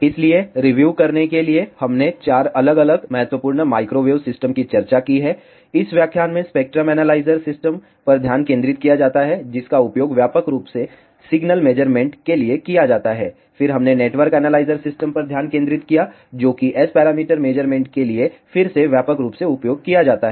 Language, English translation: Hindi, So, just to review we have discussed 4 different an important microwave systems in this lecture be focused on spectrum analyzer system, which is widely used for signal measurements, then we focused on network analyzer system, which is again widely used for S parameter measurements